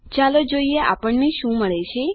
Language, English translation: Gujarati, Lets see what we get